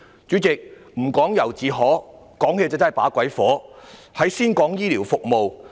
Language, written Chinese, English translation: Cantonese, 主席，"不講由自可，講起把鬼火"，我先談醫療服務。, President whenever I talk about this subject I cannot but feel enraged . Let me first talk about health care services